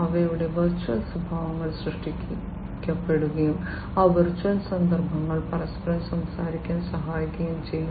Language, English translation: Malayalam, The virtual instances of them would be created and those virtual instances would be made to talk to one another